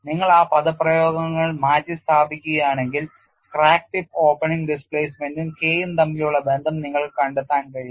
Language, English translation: Malayalam, If you substitute those expressions, you can find the relationship between the crack tip opening displacement and K